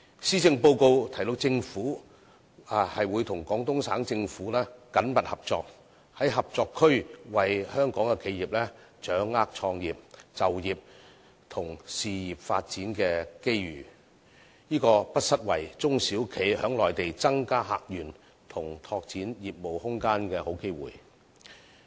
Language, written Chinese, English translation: Cantonese, 施政報告提到政府會與廣東省政府緊密合作，在合作區為香港企業掌握創業、就業及事業發展的機遇，這個不失為中小企在內地增加客源，以及拓展業務空間的好機會。, The Policy Address mentions that Government will continue to cooperate closely with the Guangdong Provincial Government so as to better seize new opportunities for Hong Kong people and enterprises to start business pursue employment and further career . This will be a good opportunity for SMEs to attract more customers and explore business opportunities in the Mainland